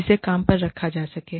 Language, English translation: Hindi, Who can be hired